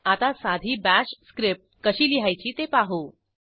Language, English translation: Marathi, Let us see how to write a simple Bash script